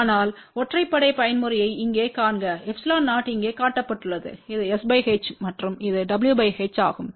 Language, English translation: Tamil, So, see here what we have odd mode epsilon 0 is shown over here this is s by h and this is w by h